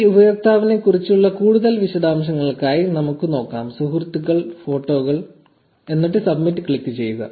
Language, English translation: Malayalam, So, let us look for some more details about this user say friends, photos and click submit